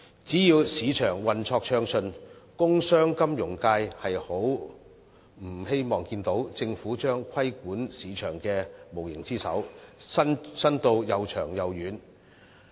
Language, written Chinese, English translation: Cantonese, 只要市場運作暢順，工商、金融界不希望看見政府將規管市場的無形之手伸到又長又遠。, As long as the market is operating smoothly the commercial sector and financial sector do not want to see the Government to extend its invisible hands of regulation to everywhere in the market